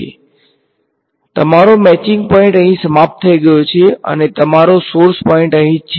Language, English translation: Gujarati, So, your matching point is over here and your source point is over here right